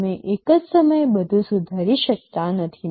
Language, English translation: Gujarati, You cannot improve everything at once